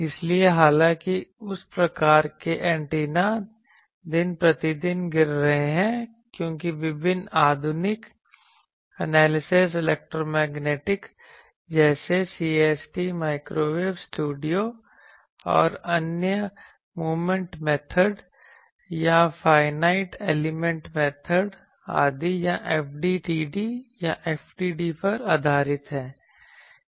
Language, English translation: Hindi, So, though that type of antennas are falling day by day in number because, various modern analysis electromagnetic analysis tools like CST Microwave studio and others or based on Moment method or finite element method etc